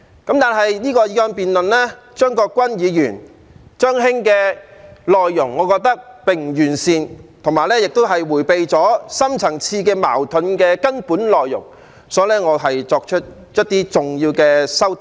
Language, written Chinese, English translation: Cantonese, 然而，我認為張國鈞議員這項議案辯論的內容並不完善，亦迴避了深層次矛盾的根本內容，因此，我作出了一些重要的修訂。, But in my view as the contents of Mr CHEUNG Kwok - kwans motion for debate are not comprehensive enough and it has avoided the fundamental issue of deep - seated conflicts I have introduced some important amendments